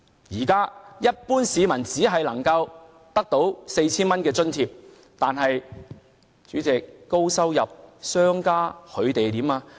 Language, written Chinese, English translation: Cantonese, 一般市民現在只能獲得 4,000 元津貼，但是在高收入下，商家又怎樣呢？, Ordinary members of the public would only receive an allowance of 4,000 what about high - income people and businessmen?